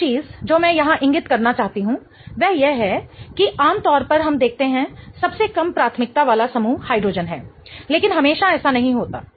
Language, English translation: Hindi, One of the things which I want to point out here is that typically we see that the least priority group is hydrogen but that is not always the case